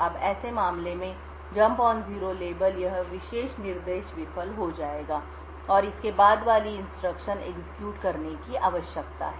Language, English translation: Hindi, Now in such a case jump on no 0 label so this particular instruction would fail and the instruction that follows needs to be executed